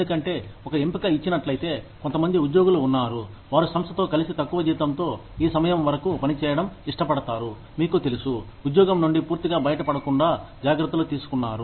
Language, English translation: Telugu, Because, if given a choice, there are some employees, who might prefer to continue working, with the organization, at a lower salary, till this time is, you know, taken care off, instead of being completely, out of a job